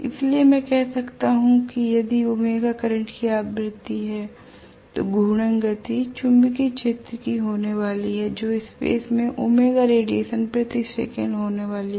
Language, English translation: Hindi, So I can say if omega is the frequency of the current then the rotating speed is going to be of the magnetic field that is going to be omega radiance per second in space